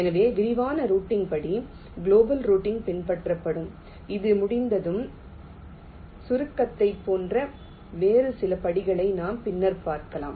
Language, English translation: Tamil, so the step of detailed routing will follow global routing and once this is done, we can have some other steps, like compaction, which we shall be seeing later now